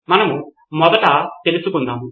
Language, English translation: Telugu, So first we find out